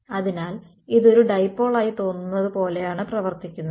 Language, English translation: Malayalam, So, this is acting like it seems like a dipole right